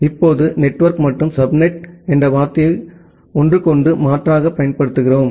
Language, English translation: Tamil, Now, we use the term network and the subnet interchangeably